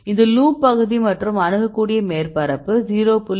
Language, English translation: Tamil, This is the loop region and the relative accessible surface area is 0